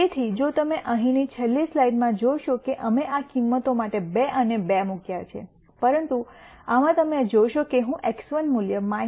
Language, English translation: Gujarati, So, if you notice here in the last slide we had put 2 and 2 for these values, but in this you would see I am using the X 1 value minus 0